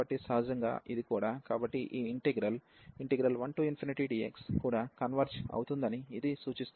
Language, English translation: Telugu, So, naturally this one will also so this will imply that this integral 1 to infinity e power minus x square d x also converges